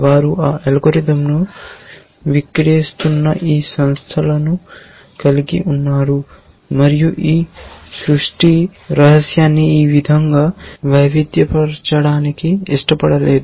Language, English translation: Telugu, They had this company which was selling that algorithm and did not want to diverse this create secret that this say